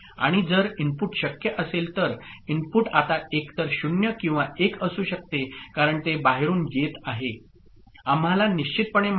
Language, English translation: Marathi, And if input could input could be now either or 1, because it is coming from outside we do not know for sure